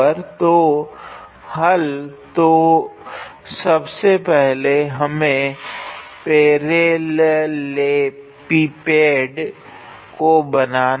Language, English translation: Hindi, So, the solution; so, first of all let us draw our parallelepiped